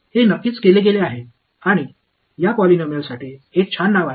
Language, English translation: Marathi, This has of course, been done and there is a very nice name for these polynomials